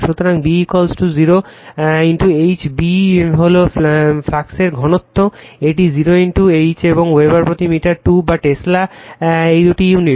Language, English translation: Bengali, So, B is equal to mu 0 into H, B is the flux density, it is mu 0 into H and it is Weber per meter square or Tesla it is unit is right